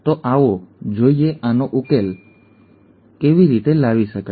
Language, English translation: Gujarati, So let us look at how to solve this